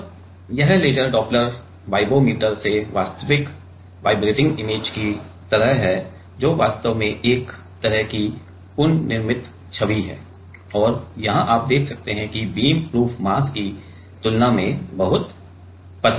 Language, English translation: Hindi, And, this is from the laser doppler vibrometer the actual like vibrating image, which is actually kind of reconstructed image, and here you can see that the beams are much thinner than the than the proof mass